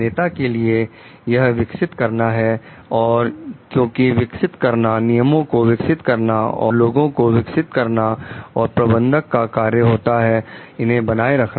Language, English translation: Hindi, For leaders, it is develop and develop maybe policies, develop rules, develop the people; and for managers, it is maintain